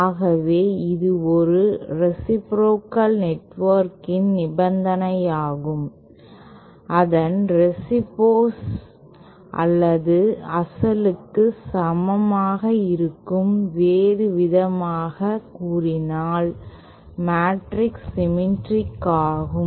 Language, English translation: Tamil, So this is the condition for a reciprocal network that is its transpose is equal to its original in another words the matrix is symmetric